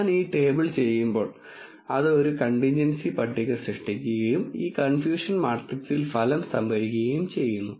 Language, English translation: Malayalam, When I do the table, it generates contingency table and it stores the result in this confusion matrix